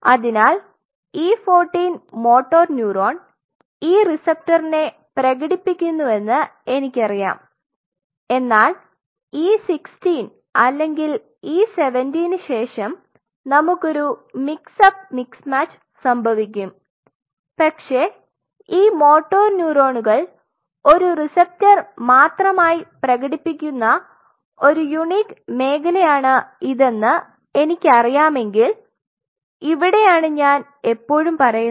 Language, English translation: Malayalam, So, I know that say at E 14 motor neuron expresses this receptor, but after by E 16 or E 17 there we gain a mix up mix in match is going to happen, but if I know this is a zone where there is a unique situation that these motor neurons will be exclusively expressing a receptor and this is where I always say